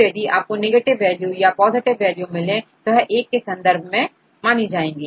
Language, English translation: Hindi, So, you get the negative value or the positive values right with the respect to this one